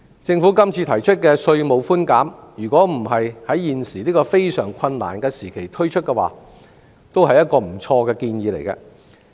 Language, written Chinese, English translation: Cantonese, 政府今次提出的稅務寬免，若不是在現時這個非常困難的時期推出，也是一個不錯的建議。, The tax concessions proposed by the Government this time could be a rather good idea if it was not introduced in such a difficult time